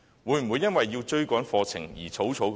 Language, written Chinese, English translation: Cantonese, 會否因為要追趕課程而草草授課？, Would lessons have to be conducted in haste so as to catch up with the curriculum?